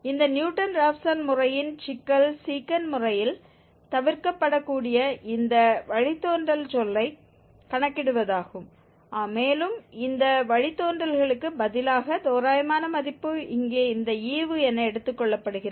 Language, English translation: Tamil, The Secant Method, the problem of this Newton Raphson method was calculation of this derivative term which can be avoided in the Secant Method and instead of this derivative, approximate value is taken as this quotient here